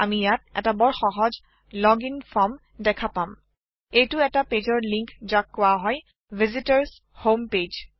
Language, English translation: Assamese, We can see a very simple login form here There is a link to a page called Visitors Home Page